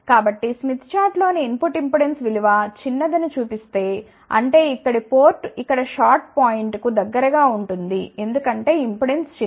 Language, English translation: Telugu, So, then if the input impedance on this mid chart shows that the impedance value is small; that means, that the port here is relatively closer to the short point here because impedance is small